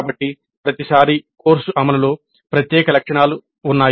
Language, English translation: Telugu, So the implementation of the course every time is unique features